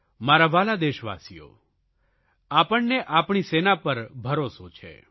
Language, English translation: Gujarati, My dear countrymen, we have full faith in our armed forces